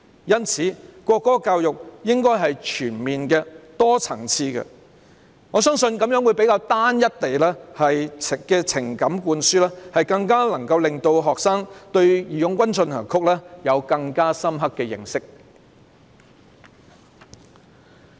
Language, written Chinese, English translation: Cantonese, 因此，國歌教育應該是全面、多層次的，我相信這樣會比單一的情感灌輸，更能讓學生對"義勇軍進行曲"有更深刻的認識。, Hence education on the national anthem should be comprehensive and multi - faceted . Compared with one - sided indoctrination I believe students will have deeper knowledge of March of the Volunteers in this way